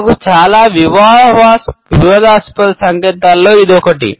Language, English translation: Telugu, For me this one is one of the most controversial signs